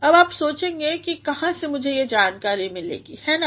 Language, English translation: Hindi, Now, you are going to think where will you get the information, is it not